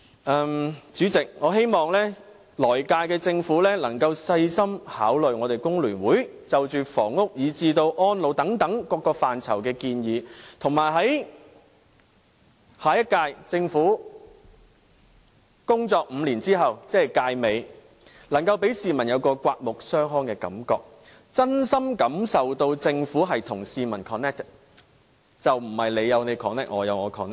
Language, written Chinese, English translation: Cantonese, 代理主席，我希望來屆政府可以細心考慮工聯會就着房屋至安老等各範疇的建議，以及希望下屆政府在其工作5年後，於屆尾時可令市民有刮目相看的感覺，真心感受到政府與市民 "connected"， 而非你有你 connect， 我有我 connect。, Deputy President I hope the next Government can carefully consider recommendations put forward by FTU on various subjects like housing and elderly care . Likewise I eagerly expect that the next Government can give society a fresh impression after its five - year term of office in which the people can truly feel like connected with the Government rather than having a sense of lost connection like the case today